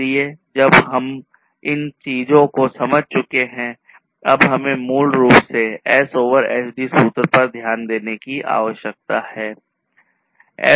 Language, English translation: Hindi, So, while we have understood all of these things we now need to basically look at this particular S over SD formula